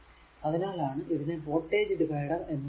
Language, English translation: Malayalam, So, that is why it is called your voltage divider